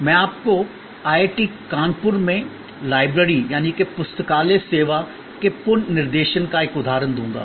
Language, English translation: Hindi, I will give you an example of the redesigning of the library service at IIT, Kanpur